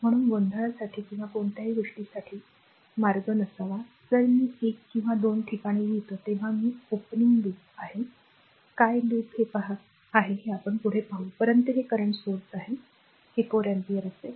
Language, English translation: Marathi, So, there should not be any path for confusion or anything even when I am writing also one or two places I am over looping your, what you call over loop looking on this, but this is current source it will be 4 ampere